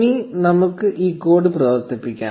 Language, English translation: Malayalam, Now let us run this code